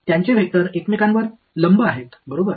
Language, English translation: Marathi, Their vectors are perpendicular to each other right